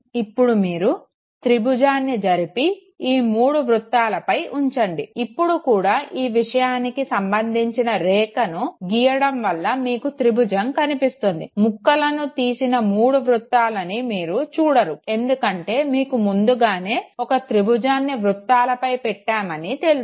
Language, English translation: Telugu, Now move the triangle and superimpose it over the three triangles, you still see the triangle by filling creative subjective lines, you do not see three circles with piece cut out of them, well you were aware that the triangle was superimposed on the circles